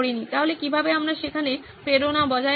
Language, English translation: Bengali, So how do we keep the motivation up there